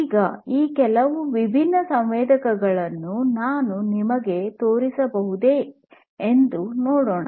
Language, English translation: Kannada, Now, let me see if I can show you some of these different sensors